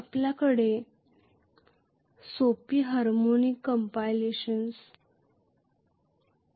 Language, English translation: Marathi, No, you have simple harmonic compilations